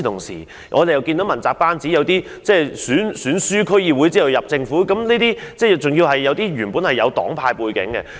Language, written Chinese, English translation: Cantonese, 此外，在問責班子中，有些人是在區議會選舉敗選後加入政府，有些人本來有黨派背景。, In addition some members of the accountability team joined the Government after losing the District Council election and some of them had partisan background